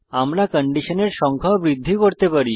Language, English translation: Bengali, We can also increase the number of conditions